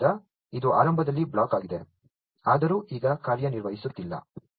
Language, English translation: Kannada, So, this is block initially, although it is not being operated now